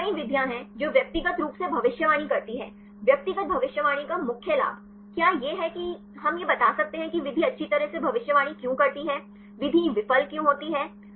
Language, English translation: Hindi, So, there are several methods which individually predict; the main advantage of individual prediction, whether it is we can explain why the method predicts well, why the method fails